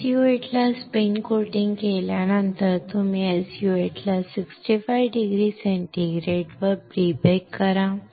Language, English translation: Marathi, And, after spin coating SU 8 you pre bake the SU 8 at 65 degree centigrade